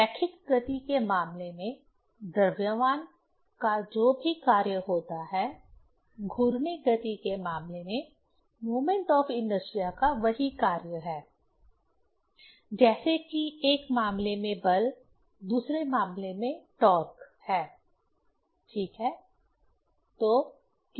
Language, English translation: Hindi, Whatever the function of mass in case of linear motion, the same function of moment of inertia in case of rotational motion; like in one case this force, another case is torque, right